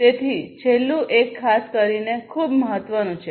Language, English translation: Gujarati, So, the last one particularly is very important